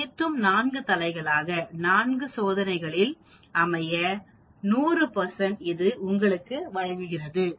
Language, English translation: Tamil, All 4 heads out of 4 trials 100 percent it gives you